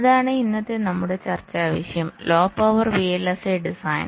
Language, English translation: Malayalam, ok, so that is the topic of our discussion today: low power, vlsi design